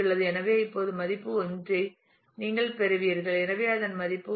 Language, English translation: Tamil, So, now, you get another which is value 1; so, its value is 1